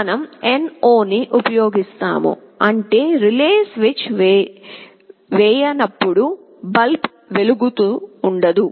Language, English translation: Telugu, We will be using NO, means when the relay is not switched ON the bulb will not glow